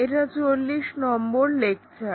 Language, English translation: Bengali, We are at Lecture number 40